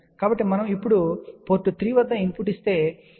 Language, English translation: Telugu, So, when we give a input at port 3 now